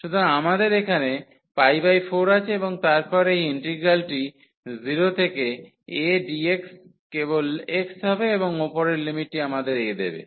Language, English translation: Bengali, So, what do we have here pi by 4 and then this integral 0 to a dx will be just the x and the upper limit will give us a